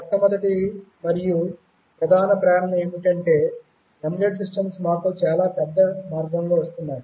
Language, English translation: Telugu, The first and foremost motivation is that embedded systems are coming to us in a really big way